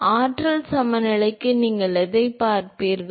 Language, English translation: Tamil, So, what you will you see for energy balance